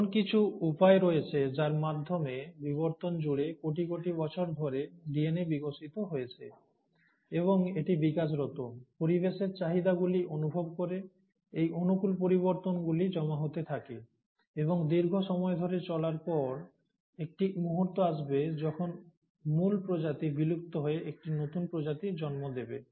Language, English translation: Bengali, So, there are ways by which across evolution, over a period of billions of years, the DNA has evolved, and it keeps evolving, sensing demands of the environment, and these favourable changes have went on accumulating and over a long period of time, a point will come when the original species will end up giving rise to a newer species